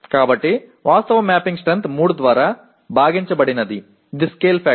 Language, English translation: Telugu, So the actual mapping strength divided by 3 is the scale factor